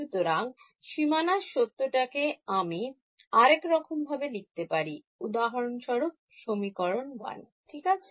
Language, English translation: Bengali, So, let me rewrite it boundary condition is for example, equation 1 right